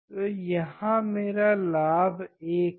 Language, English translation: Hindi, So, my gain is 1